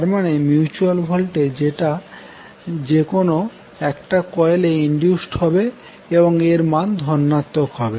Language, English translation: Bengali, That means the mutual voltage which induced is in either of the coil will be positive